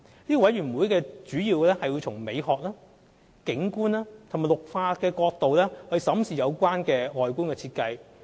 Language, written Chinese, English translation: Cantonese, 該委員會主要是從美學、景觀及綠化角度審視有關的外觀設計。, The Committee scrutinizes the appearances in the proposals mainly from the aesthetic visual and greening points of view